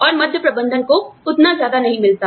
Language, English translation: Hindi, And, middle management may not be paid, so much